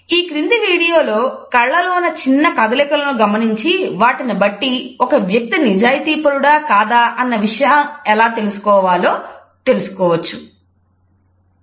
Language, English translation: Telugu, This video also tells us about looking at the micro expressions of eyes and how we can understand whether a person is being honest or not